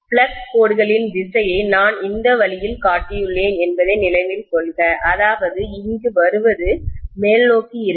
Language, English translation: Tamil, Please note that I have shown the direction of flux lines this way, which means what is coming here will be upward